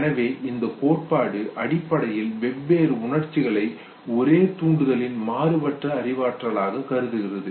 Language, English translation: Tamil, And therefore this theory basically considers different emotions as diverse cognition of the same arousal